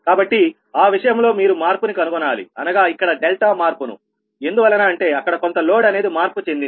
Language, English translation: Telugu, so in that case you will find that change changes, that what you call your delta changes here and there because some load has changed